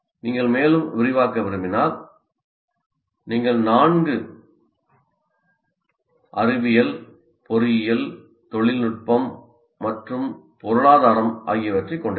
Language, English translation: Tamil, And if you want to again expand, you can have four science, engineering, technology, and I can call it economics